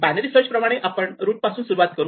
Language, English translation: Marathi, Like in binary search we start at the root